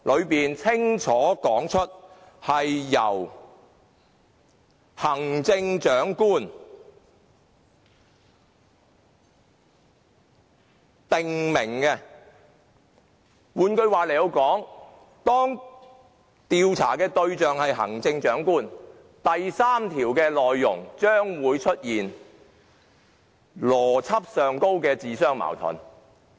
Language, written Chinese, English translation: Cantonese, 當中清楚訂明是由行政長官許可，換句話說，當調查對象是行政長官，第3條的內容將會出現邏輯上的矛盾。, The permission of the Chief Executive is clearly stipulated . In other words if the person being investigated is the Chief Executive then contradictions in logic within section 3 may arise